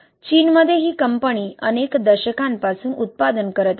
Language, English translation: Marathi, In China this company has been manufacturing for decades actually